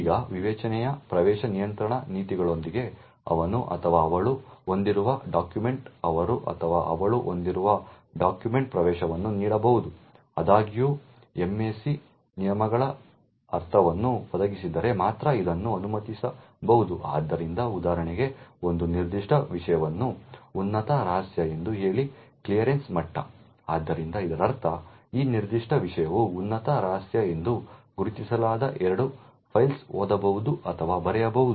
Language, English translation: Kannada, Now with the discretionary access control policies are subject may grant access to a document that he or she owns to another individual, however this can only be permitted provided the MAC rules are meant, so for example say that a particular subject as a top secret clearance level, so this means that, that particular subject can read or write two files which are marked as top secret